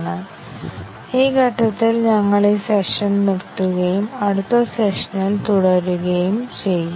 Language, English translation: Malayalam, We will stop this session at this point and we will continue in the next session